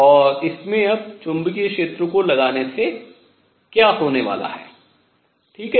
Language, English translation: Hindi, What happens now if I apply a magnetic field